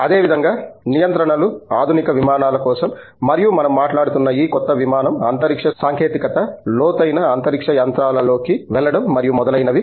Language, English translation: Telugu, Similarly, things like Controls, for modern aircraft as well as these newer aircraft that we are talking about, space technology going forward into deep space machines and so on